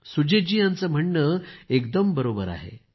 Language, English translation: Marathi, Sujit ji's thought is absolutely correct